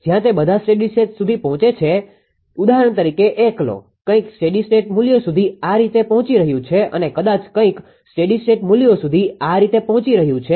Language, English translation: Gujarati, Where all of them reaches to steady state for example, take 1 for example, something is reaching like this some steady state values, right